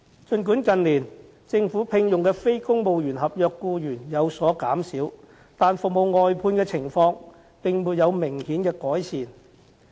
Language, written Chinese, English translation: Cantonese, 儘管近年政府聘用的非公務員合約僱員有所減少，但服務外判的情況並沒有明顯改善。, Despite that the Government has employed less non - civil service contract staff in recent years there has not been any significant improvement in the situation of service outsourcing